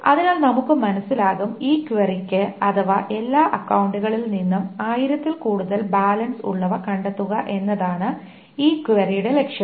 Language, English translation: Malayalam, So, let us, for example that for this query to find out the balance of all accounts where the balance is greater than thousand